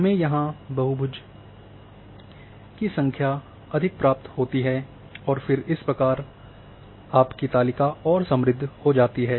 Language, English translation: Hindi, We end up with more number of polygons here and then your table becomes further enriched